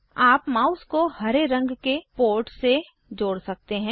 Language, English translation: Hindi, You can connect the mouse to the port which is green in colour